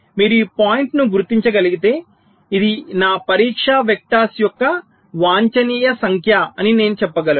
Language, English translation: Telugu, so if you can identify this point, then you can say that well, this is my optimum number of test vectors, i will apply so many